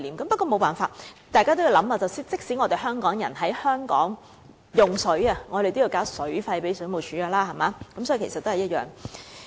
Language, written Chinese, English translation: Cantonese, 不過，這也沒有辦法，因為大家也要想想，即使香港人在香港用水，也要向水務署繳交水費，道理其實都是一樣。, Nevertheless we have to consider the fact that Hong Kong people have to pay water charges to the Water Supplies Department for consuming water in Hong Kong . The rationale is in fact the same